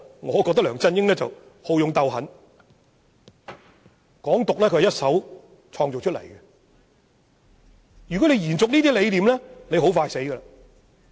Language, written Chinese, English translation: Cantonese, 我認為梁振英好勇鬥狠，"港獨"是由他一手創造出來，如要延續這些理念，必然命不久矣。, I think LEUNG Chun - ying is bellicose and ruthless and the call for Hong Kong independence emerged exactly because of him . If those ideas are to be continued things will not last long